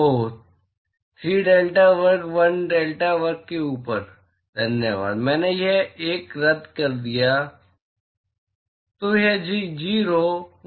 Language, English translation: Hindi, Oh 3 delta square 1 over delta square, thanks; I cancelled out this 3, thanks